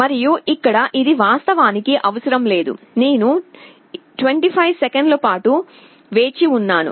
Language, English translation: Telugu, And here, this is not required actually, I am waiting for 25 seconds